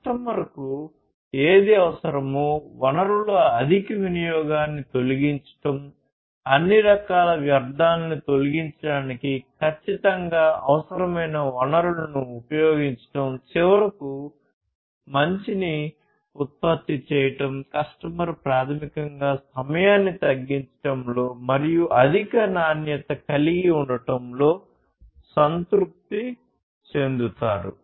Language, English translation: Telugu, Whatever the customer needs targeting that, eliminating the over usage of different resources, use whatever resources are precisely required eliminate all kinds of wastes, and finally produce a good which the customer basically would be satisfied with more in reduce time and having higher quality